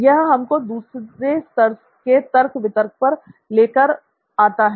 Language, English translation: Hindi, So it brings us to the next level of why reasoning